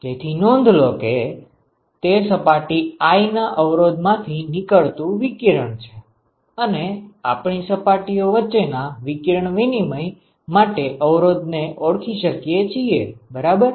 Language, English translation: Gujarati, So, note that this is the resistance for radiation from the surface i, and we can identify resistances for radiation exchange between surfaces between surfaces ok